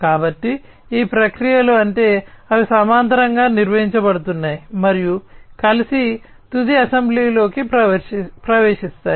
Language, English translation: Telugu, So, what we mean is these processes you know, they are going to be performed in parallel and together will get into the final assembly